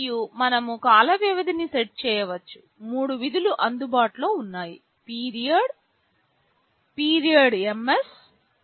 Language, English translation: Telugu, And, we can set the time period; there are three functions available: period, period ms, period us